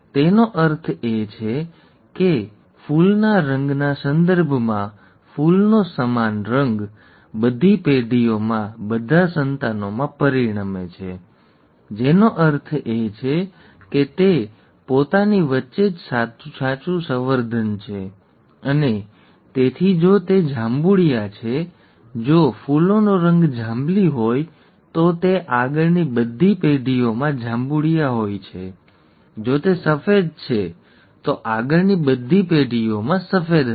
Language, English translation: Gujarati, It means, in the context of flower colour, the same of flower results in all the offspring in all the generations, okay; which means it is true breeding amongst itself and therefore if it is purple; if the flower colour is purple, it is purple throughout in all the generations forward; if it is white, it is white in all the generations forward